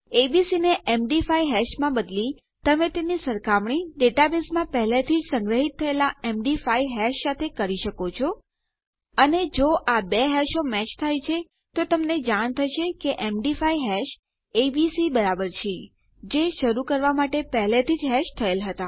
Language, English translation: Gujarati, By converting abc to a MD5 hash you can compare it to a MD5 hash already stored in your data base and if these two hashes match then theyll know that the MD5 hash equals abc, as they had already hashed just to start with